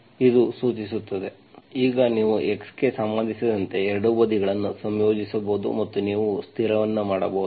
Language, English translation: Kannada, this implies, now you can integrate both sides with respect to x and you can make a constant